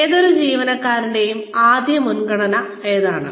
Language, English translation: Malayalam, Which is the first priority for any employee